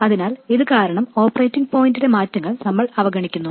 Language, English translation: Malayalam, So we ignore the changes in operating point because of this